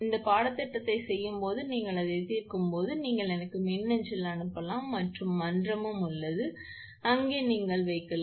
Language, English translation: Tamil, And when you will do this course when you solve it you can mail to me and forum is also there, there you can put